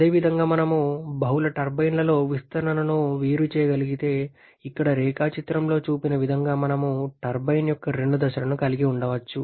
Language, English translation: Telugu, And similarly, if we can separate out the expansion in multiple turbines then we can have two stages of a turbine as shown in the diagram here